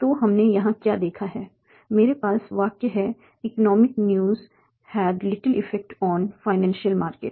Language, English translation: Hindi, So what we are seeing here, I have a sentence, economic news had little effect on financial markets